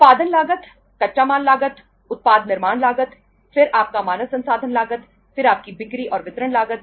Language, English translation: Hindi, Production cost, raw material cost, product manufacturing cost, then your human resource cost, then your selling and distribution cost